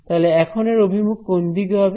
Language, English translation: Bengali, So, this is now which way